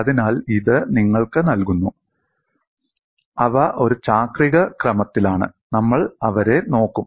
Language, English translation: Malayalam, So, this gives you, they are in cyclical order, we will look at them